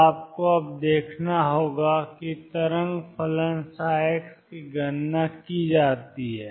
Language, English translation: Hindi, So, you have to see now is calculated the wave function psi x